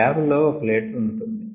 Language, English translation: Telugu, the lab scale is one liter